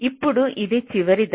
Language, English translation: Telugu, so now this is the last step